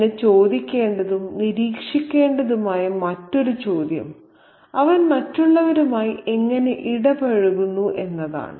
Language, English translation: Malayalam, And the other question to ask and observe is how does he interact with others